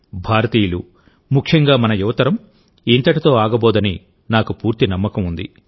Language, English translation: Telugu, I have full faith that we Indians and especially our young generation are not going to stop now